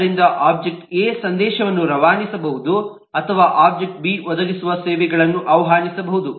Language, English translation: Kannada, it says that object a can ask object b to provide a service, so the object a can pass a message or invoke services that object b provides